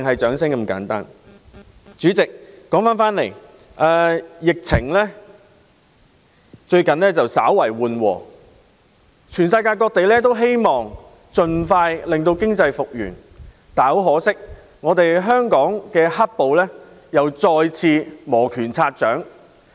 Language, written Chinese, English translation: Cantonese, 主席，疫情最近稍為緩和，世界各地均希望經濟盡快復原，但很可惜，香港"黑暴"再次磨拳擦掌。, Chairman the epidemic has receded slightly these days and various places of the world hope that the economic will recover as soon as possible . It is a pity that black - clad rioters in Hong Kong are getting ready for actions again